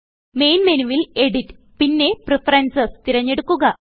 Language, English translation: Malayalam, From the Main menu, select Edit and Preferences